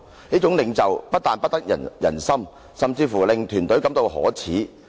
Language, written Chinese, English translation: Cantonese, 這樣的領袖，一定不得人心"，甚至會令團隊感到可耻。, Such a leader will certainly be unpopular and he will even make the team feel shameful